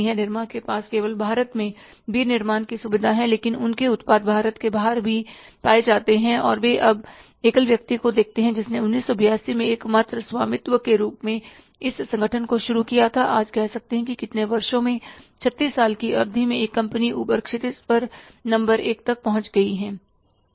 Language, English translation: Hindi, Nirm has manufacturing facility only in India, but their products are even outside India also and now see one man who started this organization as a sole proprietorship in 1982 today say how many years we have 36 years period of time that a company has reached up that horizon that number one geographically it has become a widespread organization and second thing now they have diversified